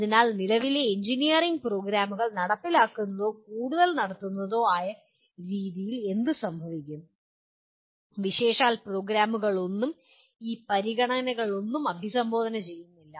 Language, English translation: Malayalam, So what happens the way currently engineering programs are implemented or conducted more by rather none of the programs really address any of these consideration